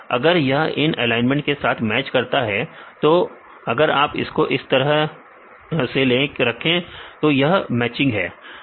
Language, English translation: Hindi, If it matches with these the alignment for if you put like this, this is this matching